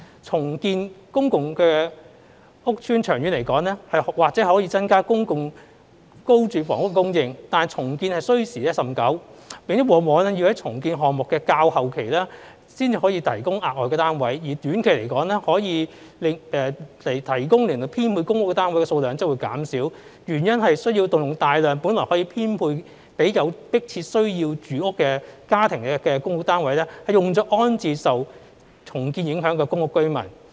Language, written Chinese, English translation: Cantonese, 重建公共屋邨長遠而言或可增加公共租住房屋供應，但重建需時甚久，並往往要在重建項目的較後期才能提供額外單位；而短期可供編配的公屋單位數量則會減少，原因是需要動用大量本來可編配予有迫切住屋需要家庭的公屋單位，用作安置受重建影響的公屋居民。, Redeveloping public housing estates may increase public rental housing PRH supply over the long term but redevelopment takes a long time and additional flats would often be made available only towards the latter phase of the redevelopment . In the short term PRH stock available for allocation will be reduced because a large number of PRH units that may otherwise be allocated to households with imminent housing needs would be used for resettling PRH residents affected by redevelopment instead